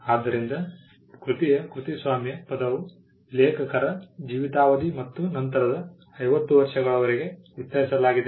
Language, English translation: Kannada, so, the copyright term of a work extended throughout the life of the author and for an additional 50 years